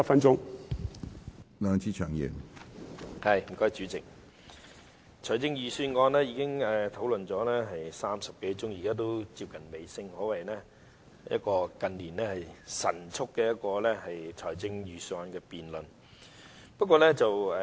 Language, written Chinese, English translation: Cantonese, 主席，財政預算案辯論已進行了30多個小時，現在接近尾聲，可謂近年一個神速的預算案辯論。, Chairman the Budget debate has been going on for more than 30 hours and is now coming to the end . It can be said that it is a remarkably speedy budget debate in recent years